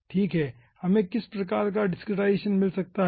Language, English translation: Hindi, okay, what type of discretization we can get